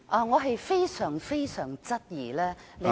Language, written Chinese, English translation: Cantonese, 我非常質疑你有......, I very much doubt whether you have